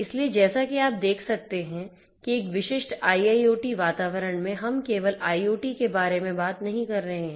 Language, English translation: Hindi, So, as you can see that in a typical IIoT environment, we are not just talking about IoT